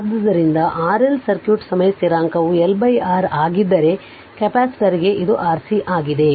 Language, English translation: Kannada, So, for RL circuit time constant is L by R whereas, for capacitor it is your R C right